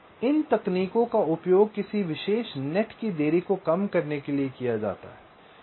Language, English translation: Hindi, this techniques are used to reduce the delay of a particular net